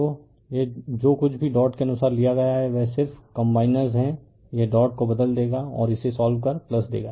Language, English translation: Hindi, So, you have whatever whateverdot you have taken according is just combiners it will inter change the dot and solve it it will become plus right